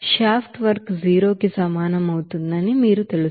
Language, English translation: Telugu, You know shaft work will be equals to 0